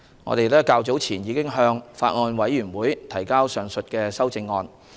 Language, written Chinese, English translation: Cantonese, 我們早前已向法案委員會提交上述修正案。, We have submitted the said amendment to the Bills Committee earlier